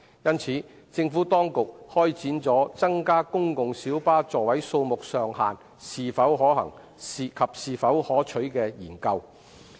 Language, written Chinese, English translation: Cantonese, 因此，政府當局開展了增加公共小巴座位數目上限是否可行及是否可取的研究。, The Administration therefore conducted a study on the feasibility and desirability of increasing the maximum seating capacity of PLBs